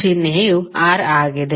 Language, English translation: Kannada, The symbol is R